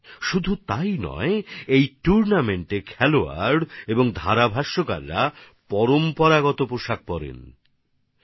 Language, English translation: Bengali, Not only this, in this tournament, players and commentators are seen in the traditional attire